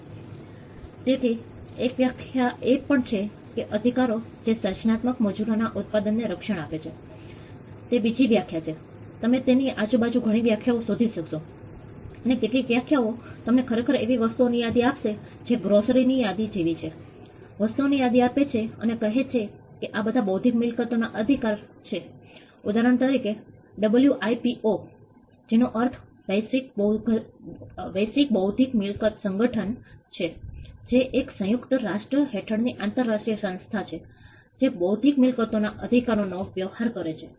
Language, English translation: Gujarati, So, one definition the rights that protect the products of creative Labour that is another definition you will find multiple definitions around this and some definitions would actually give you a list of things it is more like a grocery list; a list of things and say that these are all intellectual property rights for instance